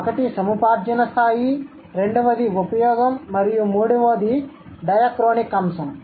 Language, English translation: Telugu, So, one is acquisition, second is use, and then third one, third is diachronic aspect